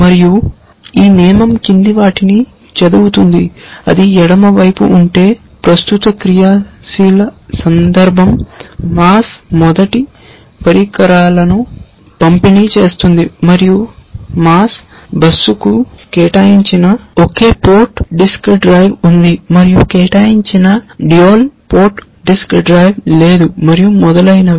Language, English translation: Telugu, And this rule reads the following, if that is the left hand side, the most current active context is distributing mass first devices and there is a single port disk drive that has not been assigned to a mass bus and there are no unassigned dual port disk drive and so on and so forth